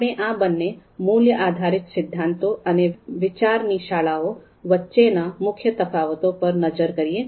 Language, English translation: Gujarati, So we need to understand the main differences between these two, the value based theories and outranking school of thought